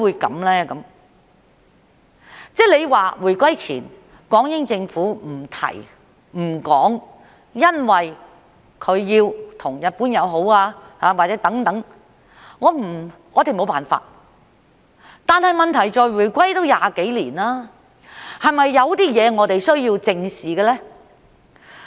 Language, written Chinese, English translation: Cantonese, 如果說回歸前港英政府不提、不說，因為它要與日本友好，我們沒有辦法，但問題是回歸已經20多年，是否有些事情我們是需要正視的呢？, If it is said that the British Hong Kong Government had not mentioned it prior to the handover of sovereignty because it wanted to be on good terms with Japan we could not do anything about it . Yet the problem is that it has been more than 20 years since the handover is there something that we need to face up to? . As the saying goes we should learn from history